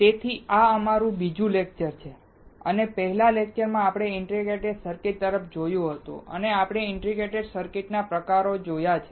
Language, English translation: Gujarati, So, this is our second lecture and in the previous lecture we looked at the integrated circuit and we have also seen the types of integrated circuit